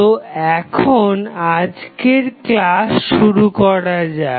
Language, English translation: Bengali, So, now, let us start the today's lecture